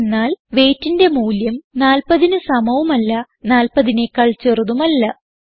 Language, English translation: Malayalam, We get a false because the value of weight is not greater than 40 and also not equal to 40